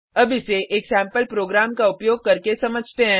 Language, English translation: Hindi, Let us understand this using a sample program